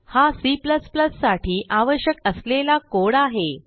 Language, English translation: Marathi, Here is the C++ file with the necessary code